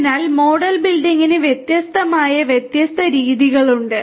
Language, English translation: Malayalam, So, for model building you know different different methodologies are there